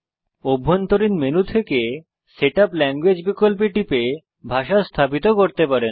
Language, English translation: Bengali, You can setup language by clicking Setup language option from the Internal Menu